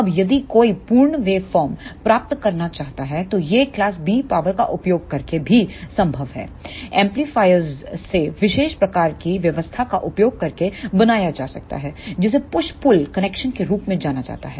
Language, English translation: Hindi, Now, if one want to achieve the complete wave form this is also possible using class B power amplifier this can be made using the special type of arrangement that is known as push pull connection